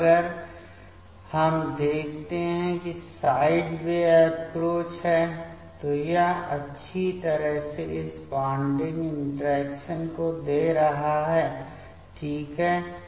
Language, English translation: Hindi, Now, if we see that the side way approach, it is nicely giving this bonding interaction ok